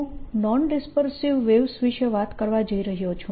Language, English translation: Gujarati, i am going to talk about non dispersive waves